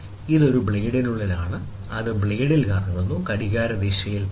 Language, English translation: Malayalam, This is for a blade, which rotates in blade, which rotates in clockwise direction